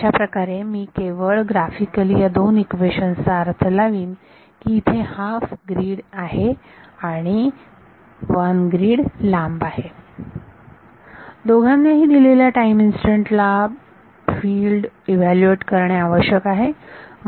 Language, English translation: Marathi, So, I am just graphically interpreting these two equations that there is a half grid and one grid away these both are required to evaluate the field at a given time instance